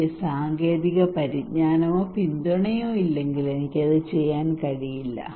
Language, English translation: Malayalam, If I do not have the technological knowledge or support then I cannot do it